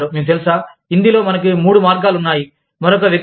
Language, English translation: Telugu, You know, in Hindi, we have three ways of addressing, the other person